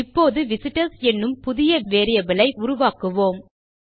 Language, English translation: Tamil, Now, what Ill do is I will create a new variable called visitors